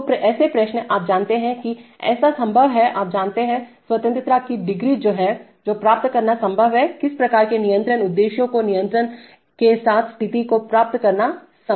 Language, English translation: Hindi, So such questions, you know, what is possible that, you know, degrees of freedom that is, what is possible to achieve how, what kind of control objectives are possible to achieve given the situation with control